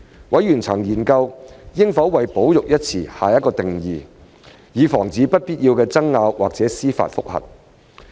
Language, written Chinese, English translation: Cantonese, 委員曾研究應否為"保育"一詞下定義，以防止不必要的爭拗或司法覆核。, Members have examined whether it is necessary to define the term conservation to avoid unnecessary disputes or judicial reviews